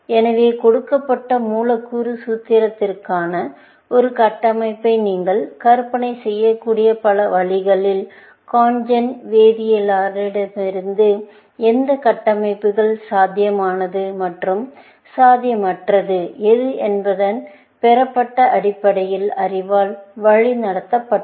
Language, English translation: Tamil, So, of the many possible ways that you could conjure a structure for a given molecular formula, CONGEN was guided by knowledge gleamed from chemist, as to what structures are feasible and what are not feasible, essentially